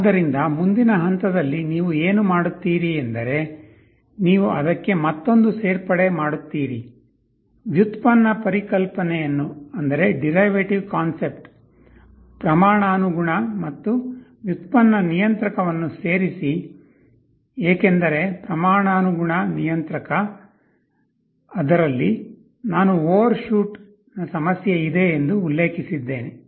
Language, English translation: Kannada, So, what you do in the next step is that you add another flavor to it, add a derivative concept proportional and derivative controller, because in proportional controller I mentioned that there was the problem of overshoot